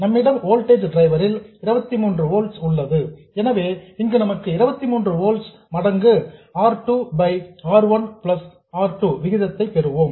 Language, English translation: Tamil, So, here we will get 23 volts times some ratio R2 by R1 plus R2